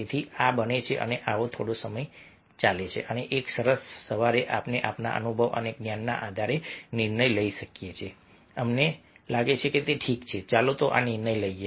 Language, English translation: Gujarati, this goes for some time and one fine morning we take decision based of, based on our experience and knowledge, we think that, ok, let us, let us take this decision